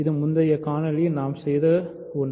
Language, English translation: Tamil, So, this is also something we did in the previous video